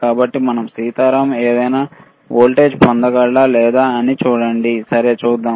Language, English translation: Telugu, So, let us see whether Sitaram can get any voltage or not, all right let us see